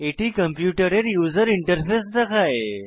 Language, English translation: Bengali, It displays the computers user interface